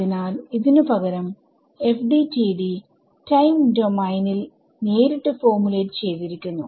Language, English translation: Malayalam, So, instead this FDTD is directly formulated in the time domain ok